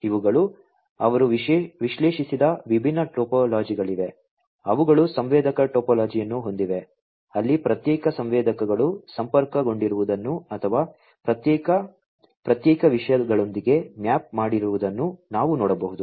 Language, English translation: Kannada, These are the different topologies that they have analyzed, they have the sensor topology, where we can see that individual sensors are connected or, mapped with individual separate topics, in this manner